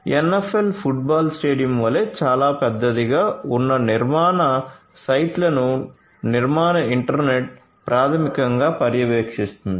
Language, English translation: Telugu, The construction internet of things basically monitors the sites the construction sites which are very large as large as the NFL you know football stadium